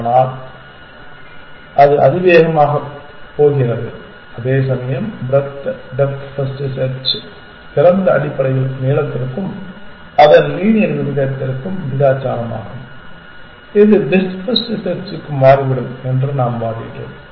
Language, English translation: Tamil, whereas the for breadth depth first search the open is basically kind of proportional to length and its linear that we have argued it turns out that for best first search